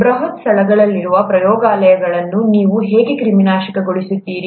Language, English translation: Kannada, How do you sterilize labs which are huge spaces